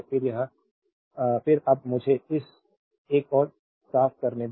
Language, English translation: Hindi, Then now let me clean this one